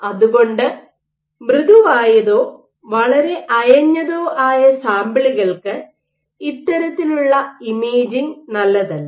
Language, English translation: Malayalam, So, this kind of imaging is not good for samples which are soft or very loosely attached